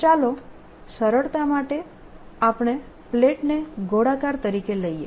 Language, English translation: Gujarati, let's take this plate to be circular